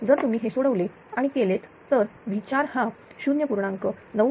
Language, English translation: Marathi, So, if you solve it and do this that people will become 0